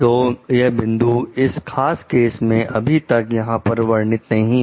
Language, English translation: Hindi, So, these points have not been mentioned in this particular case still here